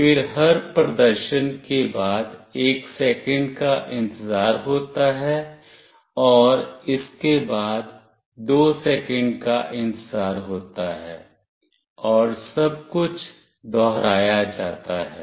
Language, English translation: Hindi, Then after every display there is a wait of 1 second, and after this there is a wait of 2 seconds, and everything repeats